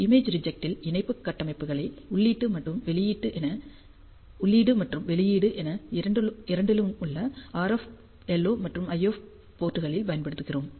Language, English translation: Tamil, Image reject we use coupling structures at both input and output which are the RF and LO and the IF ports